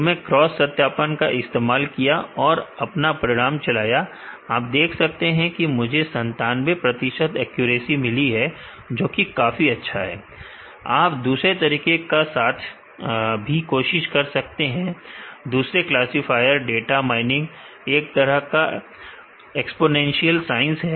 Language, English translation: Hindi, So, I used cross validation and run my results, you could see I get a got a 97 percent accuracy, which is pretty good, you can also try other methods other classifiers data mining is kind of exponential science